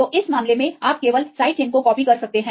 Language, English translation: Hindi, So, this case you can just copy the side chains